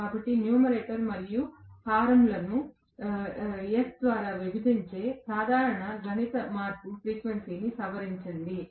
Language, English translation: Telugu, So, simple mathematical modification of dividing the numerator and denominator by S has kind of you know modified the frequency